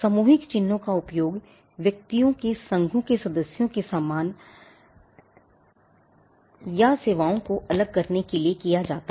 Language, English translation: Hindi, Collective marks are used for distinguishing goods or services of members of an association of persons